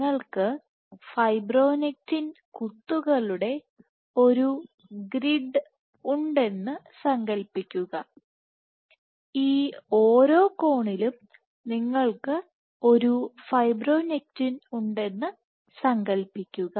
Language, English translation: Malayalam, So, imagine you have a grid of fibronectin dots, imagine at each of these corners you have a fibronectin dot